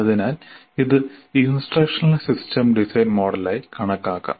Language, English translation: Malayalam, So it should be treated as we said, instructional system design model